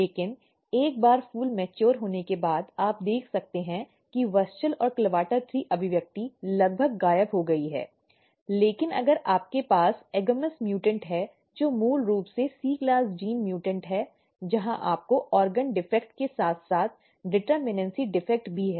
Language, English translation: Hindi, But once the flower is mature you can see that WUSCHEL and CLAVATA three expression is almost disappeared, but if you have agamous mutant which is basically C class gene mutants where you have the organ defect as well as determinacy defect